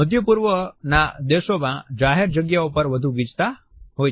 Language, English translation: Gujarati, Public spaces in Middle Eastern countries tend to be more crowded